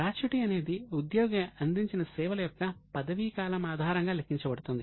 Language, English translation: Telugu, The gratuity is calculated on the basis of number of years of service